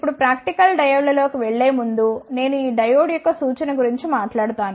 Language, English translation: Telugu, Now, before going into the practical diodes, I will talk about the representation of this diode